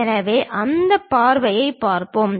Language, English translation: Tamil, So, let us look at that view